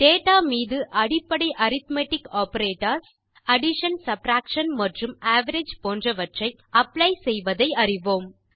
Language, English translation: Tamil, We have already learnt to apply the basic arithmetic operators like addition,subtraction and average on data